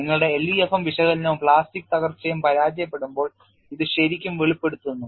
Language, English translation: Malayalam, It really brings out when your LEFM analysis as well as plastic collapse fails